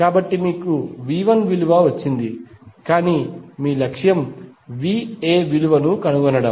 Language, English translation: Telugu, So, you got the value of V 1 but your objective is to find the value of V A